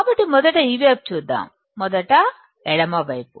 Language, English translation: Telugu, So, let us just see this side first; , left side first